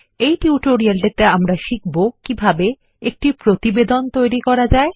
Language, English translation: Bengali, In the next tutorial, we will learn how to modify our report